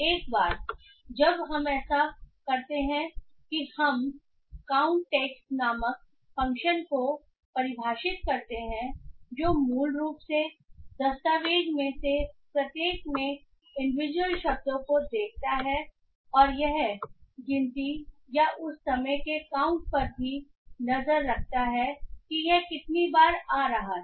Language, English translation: Hindi, Once we do that we define a function called count text which basically looks for individual words in each of the document and also it keeps a track of the count or the number of time it is appearing